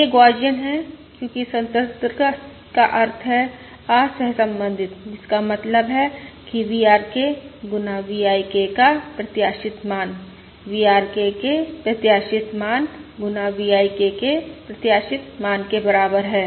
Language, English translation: Hindi, This is Gaussian because independence means uncorrelated, which means expected value of VRK times V I K equals expected value of VRK times expected value of V